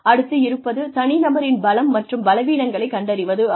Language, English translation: Tamil, Identifying individual strengths and weaknesses